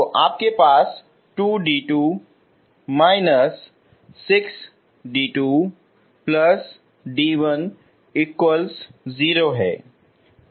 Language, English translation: Hindi, So you have 2 d 2 minus 6 d 2, okay